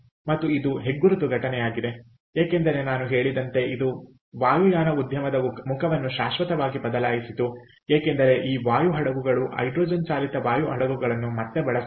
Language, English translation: Kannada, another respect is because, as i said, it forever changed the face of aviation industry, because this air ships hydrogen powered air ships were never used again, all right, and we went to gas turbine power jet engines, all right